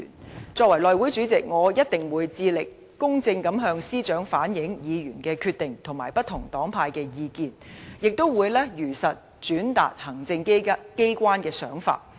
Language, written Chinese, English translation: Cantonese, 作為內務委員會主席，我一定會致力公正地向司長反映議員的決定和不同黨派的意見，亦會如實轉達行政機關的想法。, As the House Committee Chairman I will definitely seek to impartially reflect Members decisions and the views of various political parties and groupings to the Chief Secretary for Administration while also truthfully relaying the thoughts of the executive